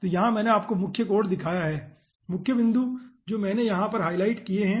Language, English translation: Hindi, so here i have first shown you the main code, main points i have highlighted over here